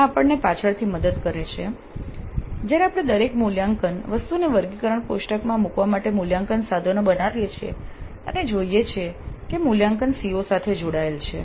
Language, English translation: Gujarati, This helps us later when we create assessment instruments to place each assessment item also in the taxonomy table and see that the assessment is aligned to the COs